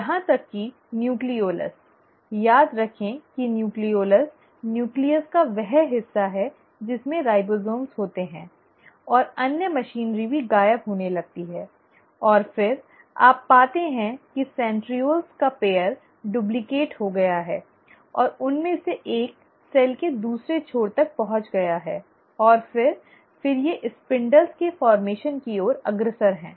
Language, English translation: Hindi, Even the nucleolus, remember nucleolus is the part of the nucleus which consists of ribosomes and other machinery also starts disappearing, and then, you find that the pair of centrioles have duplicated and one of them has reached the other end of the cell and then, these are leading to formation of spindles